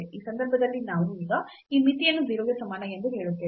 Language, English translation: Kannada, So, in this case we now let that this limit equal to 0